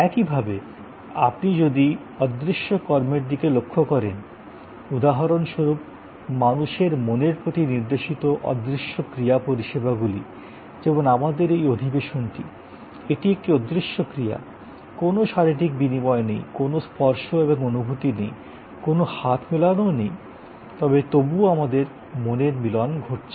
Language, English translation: Bengali, Similarly, if you look at intangible actions, intangible action services directed at the mind of people that is like for example, this session that we are having, it is an intangible action, there is no physical exchange, there is no touch and feel, there is no hand shake, but yet we have a mind shake here